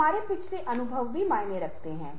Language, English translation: Hindi, our past experiences also matters